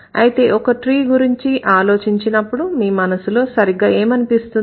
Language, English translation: Telugu, So, when you think about a tree, what exactly comes to your mind